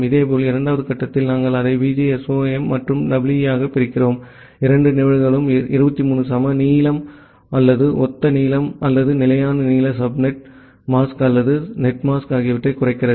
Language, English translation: Tamil, Similarly, whenever in the second level, we are dividing it into VGSOM and EE, we are again using for both the cases slash 23 the equal length or the similar length or the fixed length subnet subnet mask or netmask